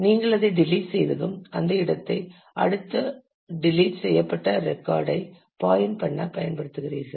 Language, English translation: Tamil, And once you delete it you use that space itself to point to the next deleted record